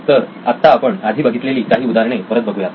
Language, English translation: Marathi, So let’s look at some of the examples we looked at last time